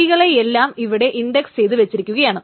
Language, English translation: Malayalam, So keys are indexed